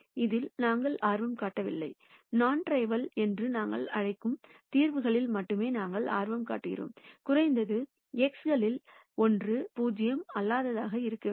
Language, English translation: Tamil, We are not interested in this, we are only interested in solutions that we call as non trivial, at least one of the xs will have to be non 0